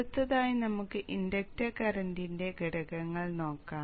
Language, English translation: Malayalam, Next, let us see the component of the inductor current